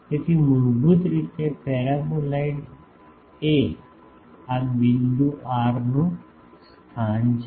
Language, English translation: Gujarati, So, basically the paraboloid is a locus of this point r ok